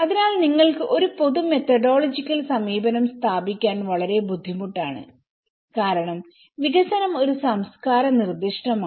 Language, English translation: Malayalam, So, there is one it's very difficult to establish a common methodological approach you because development is a culture specific